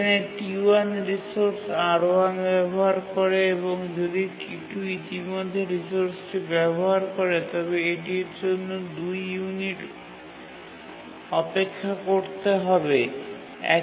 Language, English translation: Bengali, T1 uses the resource R1 and if T2 is already using the resource it would have to wait for two units